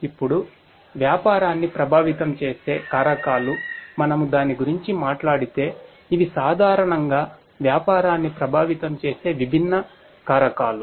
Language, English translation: Telugu, Now, the factors that affect business, if we talk about that, so these are the different factors that will typically affect the business